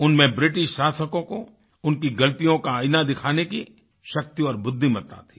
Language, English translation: Hindi, He had the courage to show a mirror to the British about their wrong doings